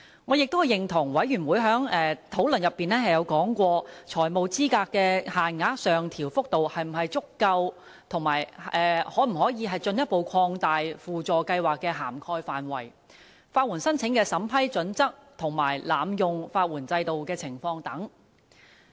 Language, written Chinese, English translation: Cantonese, 我也認同小組委員會在討論過程中曾提及，財務資格限額的上調幅度是否足夠、法律援助輔助計劃的涵蓋範圍可否進一步擴大、法援申請的審批準則和濫用法援制度的情況等。, I agree that during the discussion of the Subcommittee Members have raised concerns about the adequacy of the upward adjustment of the financial eligibility limit the possibility of further expansion of the scope of the Supplementary Legal Aid Scheme SLAS the vetting and approval criteria for legal aid applications and the abuse of the legal aid system and so on